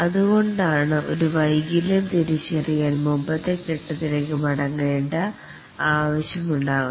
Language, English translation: Malayalam, And that's the reason why it may be necessary to go back to a previous phase